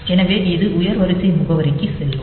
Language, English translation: Tamil, So, it will go to the higher order address ok